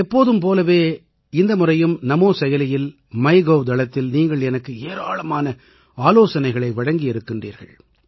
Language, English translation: Tamil, As always, this time too, I have received numerous suggestions from all of you on the Namo App and MyGov